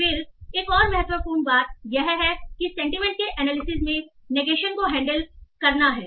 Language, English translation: Hindi, Then another important thing is handling negation in sentiment analysis